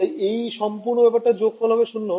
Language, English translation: Bengali, So, this whole thing the whole sum was 0